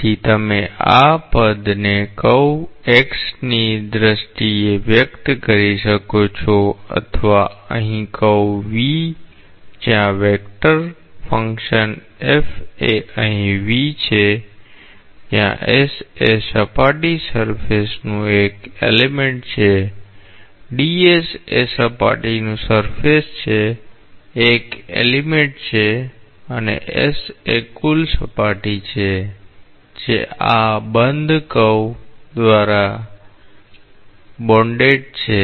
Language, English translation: Gujarati, So, you can express this in terms of curve X or here the curve V where the vector function f is here V where s is an element of the surface d s is an element of the surface and s is that total surface that is bounded by this closed curve that is very very important